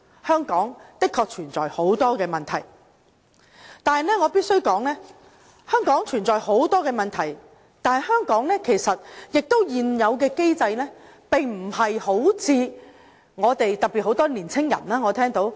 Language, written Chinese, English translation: Cantonese, 香港的確存在很多問題，但是，我必須指出，雖然香港存在很多問題，但現有機制並非如我們，特別很多年輕人所說般差劣。, Hong Kong is dogged by problems but I must point out that the existing system is not as bad as many young people have claimed despite all the problems around us